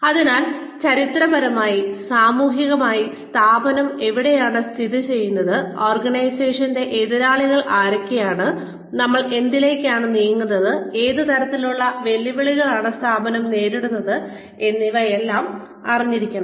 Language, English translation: Malayalam, So, knowing where the organization has been situated, historically, socially, in the sector that, the organization functions in, who the competitors are, what we are moving towards, what are the kinds of challenges the organization faces